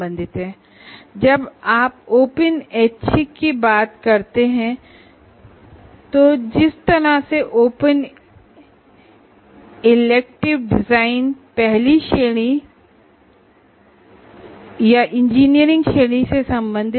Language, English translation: Hindi, When you come to open electives, the way open elective design can belong to the first category or to the engineering category